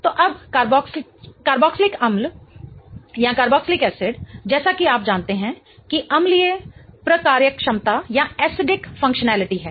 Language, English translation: Hindi, So, now carboxylic acids as you know have have to have an acidic functionality